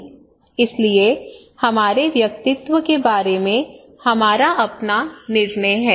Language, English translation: Hindi, So we have our own judgment about our personality okay